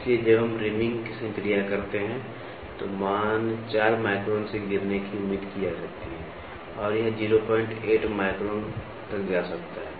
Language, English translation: Hindi, So, when we take reaming operation, the value might be expected to fall from 4 microns it might go up to 0